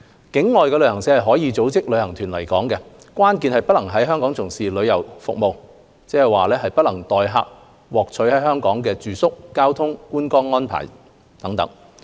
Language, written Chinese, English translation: Cantonese, 境外旅行社是可以組織旅行團來港的，關鍵是不能在港從事旅遊服務，即代客獲取在港的住宿、交通、觀光遊覽等安排。, Travel agents outside Hong Kong are free to organize group tours to Hong Kong but the key is that they are not permitted to conduct travel businesses such as obtaining for others accommodation transport and sightseeing services in Hong Kong